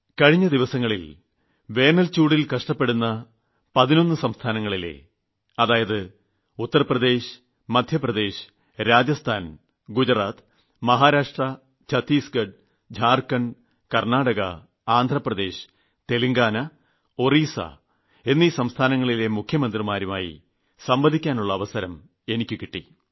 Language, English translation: Malayalam, Recently, I convered at length with the Chief Ministers of eleven states, reeling under severe drought Uttar Pradesh, Rajasthan, Gujarat, Maharashtra, Madhya Pradesh, Chhattisgarh, Jharkhand, Karnataka, Andhra Pradesh, Telangana and, Odisha